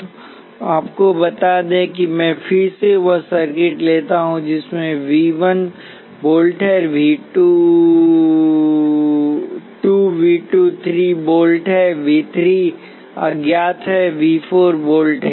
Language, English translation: Hindi, So let say you know that let me take the same circuit again there is V 1 is 1 volt, V 2 is 3 volts V 3 is unknown and V 4 is 4 volts